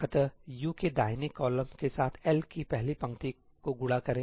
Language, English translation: Hindi, multiply the first row of L with the first column of U, right